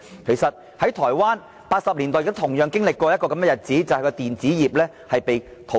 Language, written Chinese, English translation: Cantonese, 其實台灣在1980年代有同樣的經歷，就是其電子業被淘空。, In fact Taiwan also had a similar experience in the 1980s when its electronic industry was entirely hollowed out